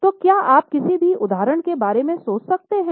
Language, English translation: Hindi, Can you think of some more examples